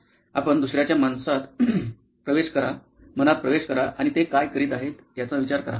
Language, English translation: Marathi, You get into somebody else’s psyche and think about what is it that they are going through